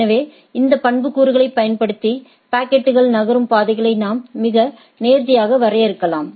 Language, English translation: Tamil, So, using this attribute, we can more finely defined the paths along which the packet will move